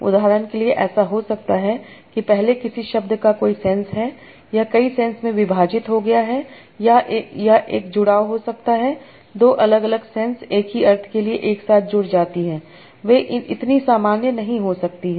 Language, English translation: Hindi, For example, it might happen that earlier a word has a sense, it has got split into multiple senses or it can be a joint, two different senses have joined together to form the same sense